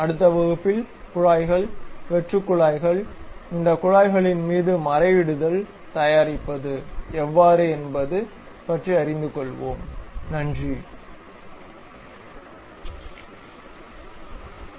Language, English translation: Tamil, In the next class, we will know about how to make pipes, hollow pipes, how to make threads over these pipes